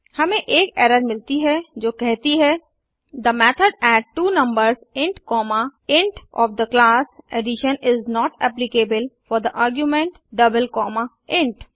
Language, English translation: Hindi, We get an error which states that , the method addTwoNumbers int comma int of the class addition is not applicable for the argument double comma int